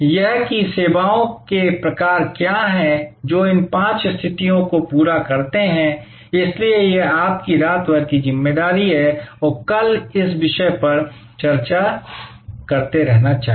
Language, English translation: Hindi, That what are the kinds of services, which satisfy these five conditions, so that is your overnight assignment and let us continue to discuss this topic tomorrow